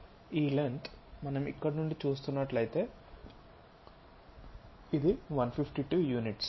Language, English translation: Telugu, This length if we are looking from here all the way there this is 152 units